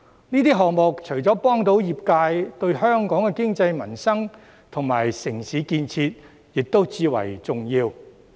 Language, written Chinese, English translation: Cantonese, 這些項目除了能幫助業界，對香港的經濟民生及城市建設亦至為重要。, Apart from helping my sectors these projects are also vital to the economy peoples livelihood and urban development of Hong Kong